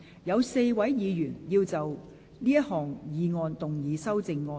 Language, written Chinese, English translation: Cantonese, 有4位議員要就這項議案動議修正案。, Four Members will move amendments to this motion